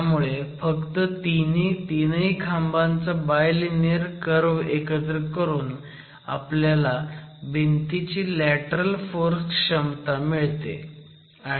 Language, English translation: Marathi, So, merely by adding up the three bilinear curves of each peer, in this case we have arrived at the lateral force capacity of this wall itself